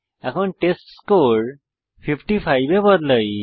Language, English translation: Bengali, Now Let us change the testScore to 55